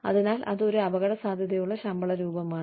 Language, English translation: Malayalam, So, that is an, at risk form of pay